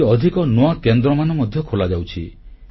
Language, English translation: Odia, More such centres are being opened